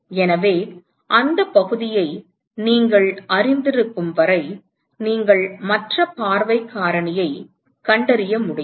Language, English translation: Tamil, So, as long as you know the area you should be able to find the other view factor